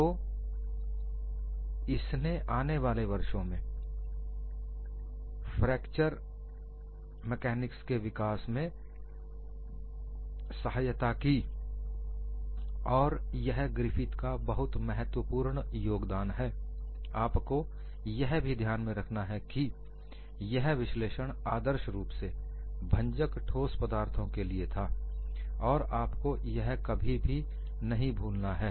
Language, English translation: Hindi, So, it helps to develop fracture mechanics in the years to come, that is a very important contribution by Griffith mind you all his analysis were focus to ideally brittle solids you should never forget that, thank you